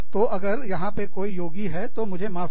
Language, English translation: Hindi, Please, so, any yogis out there, please forgive me